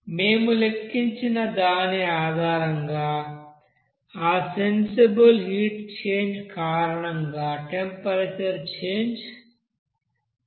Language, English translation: Telugu, So based on which we have calculated also, because of that sensible heat change by you know temperature change